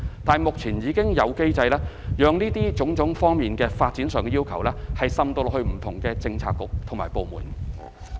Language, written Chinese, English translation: Cantonese, 但是，目前已經有機制，讓各項發展上的要求，滲入到不同的政策局及部門。, A mechanism has been put in place to ensure that various development requirements will be incorporated into Policy Bureaux and departments